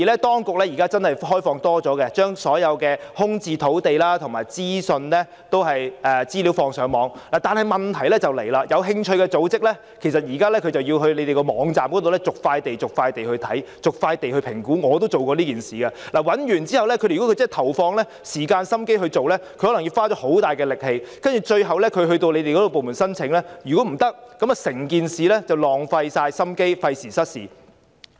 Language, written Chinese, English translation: Cantonese, 當局現在無疑已開放較多資訊，例如把所有空置土地及資料放上網，但問題是，有興趣的組織現在要在官方網站逐塊地瀏覽和評估——我也做過此事——如果他們要認真投放時間和精神來尋找的話，要花上很大力氣，如果最後向政府部門申請被拒，便會白費心機，費時失事。, The problem is that organizations that are interested to know have to browse and assess the information on each piece of land on the official sites―I have done this myself . They will have to spend a lot of effort if they seriously put in the time and energy to search . In case after all of this the applications they submit to the government departments concerned are not successful a lot of efforts and time will be wasted